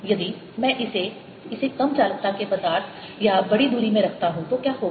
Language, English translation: Hindi, what happens if i put it in a material of smaller conductivity or larger distance